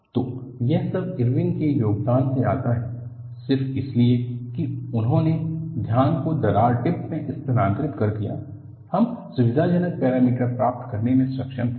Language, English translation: Hindi, So, all that comes from contribution by Irwin; just because he shifted the focus to the crack tip, we were able to get convenient parameters